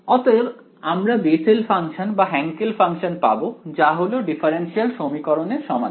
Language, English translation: Bengali, So, you can either have Bessel’s functions or Henkel’s functions which are solutions to this differential equation